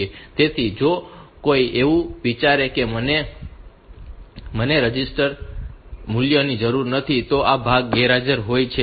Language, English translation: Gujarati, So, if somebody thinks that I do not need the register values then this part is absent